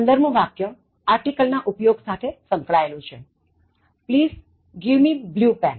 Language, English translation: Gujarati, 15, is related to use of article: Please give me blue pen